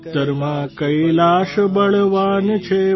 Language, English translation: Gujarati, Kailash is strong in the north,